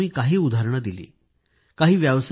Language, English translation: Marathi, I have mentioned just a few examples